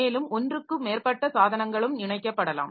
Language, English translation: Tamil, So, seven or more devices can be connected